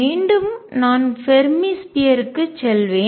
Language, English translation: Tamil, Again I will go to the Fermi sphere